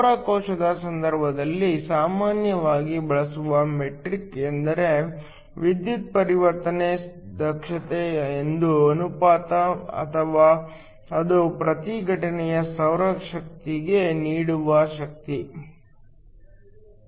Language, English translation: Kannada, In the case of a solar cell the metric that is normally used is the power conversion efficiency this is the ratio or this is the power delivered per incident solar energy